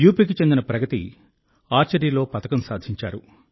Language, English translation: Telugu, Pragati, a resident of UP, has won a medal in Archery